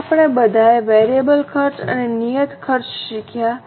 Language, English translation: Gujarati, Now, we have all learned variable costs and fixed costs